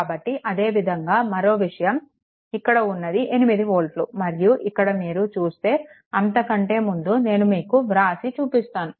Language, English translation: Telugu, So, similarly ah similarly your another thing is that this is 8 volt and here also here also before going to that after that directly I will tell you, right